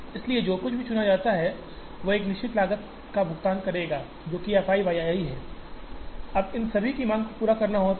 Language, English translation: Hindi, So, whatever is chosen will incur a fixed cost, which is f i y i, now the demand of all of these have to be met